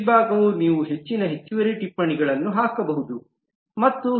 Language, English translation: Kannada, This part is where you can put more additional notes and so on